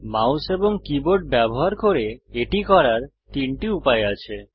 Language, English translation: Bengali, There are three ways of doing this using the mouse and the keyboard